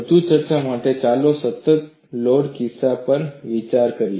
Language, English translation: Gujarati, For further discussion, let us consider the constant load case